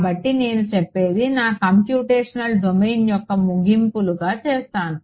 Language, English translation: Telugu, And so, what I will say I will make this the ends of my computational domain